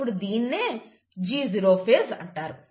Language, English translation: Telugu, So, this is the G0 phase